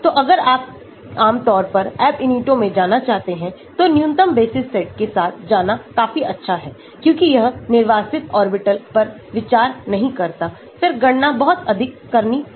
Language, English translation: Hindi, So, generally if you want to go into Ab initio is good enough to go with minimal basis set because it does not consider the unoccupied orbitals then the calculations are too much to do